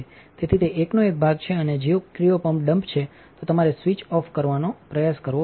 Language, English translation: Gujarati, So, it is part of one and if the cryo pump is dump you need to try to switch off